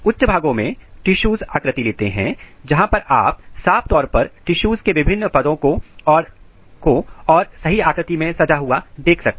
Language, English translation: Hindi, In higher region tissue patterning occurs where you can have a clear different layers of the tissues arranged in a proper pattern